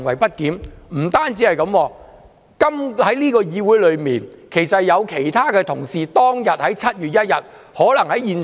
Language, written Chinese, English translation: Cantonese, 不單如此，在這個議會內，其實有其他同事當天也可能在現場。, Moreover other colleagues in this Council could have been present at the scene on that day 1 July